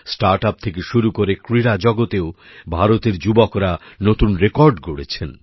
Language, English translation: Bengali, From StartUps to the Sports World, the youth of India are making new records